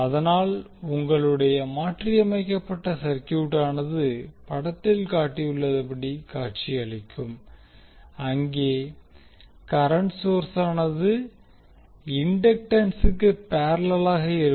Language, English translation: Tamil, So your modified circuit will look like as shown in the figure where the current source now will be in parallel with the inductance